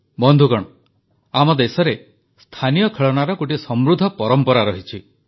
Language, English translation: Odia, Friends, there has been a rich tradition of local toys in our country